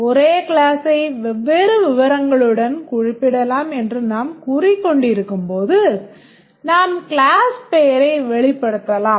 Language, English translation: Tamil, As we are saying that the same class can be represented with different details, we might just represent the class name